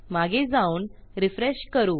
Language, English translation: Marathi, Let me go back and refresh this